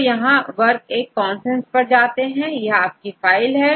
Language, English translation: Hindi, So, go with this a work1consensus, this is your file